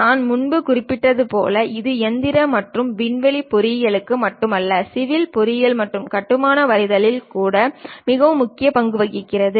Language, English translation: Tamil, As I mentioned earlier it is not just for mechanical and aerospace engineering, even for a civil engineering and construction drawing plays an important role